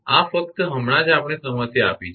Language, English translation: Gujarati, This is the just now we have given the problem